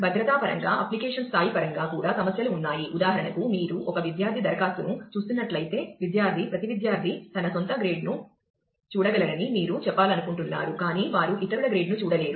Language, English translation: Telugu, There are issues in terms of security, in terms of the application level also, for example, if you if you are looking at a at a student application where, you want to say that the student, every student can see his or her own grade, but they should not be able to see the grade of others